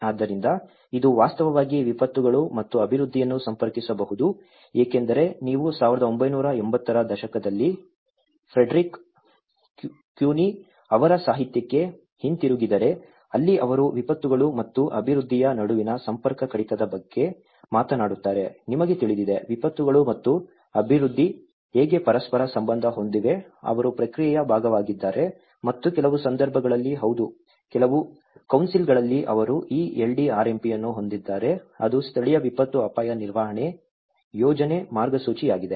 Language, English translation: Kannada, So, this can actually connect the disasters and development because if you go back to the literature of Frederick Cuny in 1980s where he talks about the disconnect between the disasters and the development, you know, the how the disasters and development are interrelated to each other, they are part of the process and in some cases yes in some councils they have this LDRMP which is the Local Disaster Risk Management Planning Guidelines